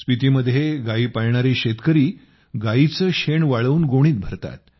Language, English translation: Marathi, Farmers who rear cows in Spiti, dry up the dung and fill it in sacks